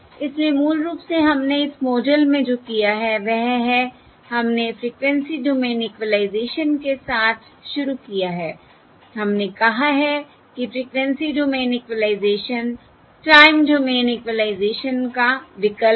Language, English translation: Hindi, So basically, what we have done in this model is we have started with frequency division, Frequency Domain Equalisation